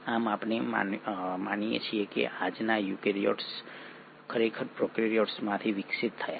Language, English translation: Gujarati, Thus we believe that today’s eukaryotes have actually evolved from the prokaryotes